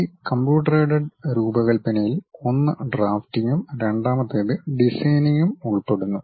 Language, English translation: Malayalam, This Computer Aided Design, basically involves one drafting and the second one designing